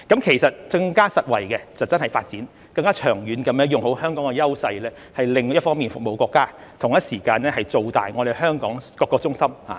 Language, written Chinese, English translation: Cantonese, 其實更實惠的方式真的是發展，更長遠地用好香港的優勢，一方面服務國家，同一時間造大香港各個中心。, A more practical and beneficial way is indeed to develop and make good use of the strengths of Hong Kong in the long run so as to serve the country on one hand and build up various centres in Hong Kong on the other